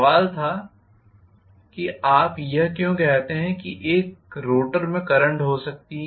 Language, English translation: Hindi, The question was, why do you say they are might be current in the rotor